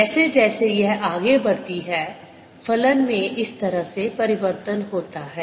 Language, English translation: Hindi, that is how the function changes as it moves along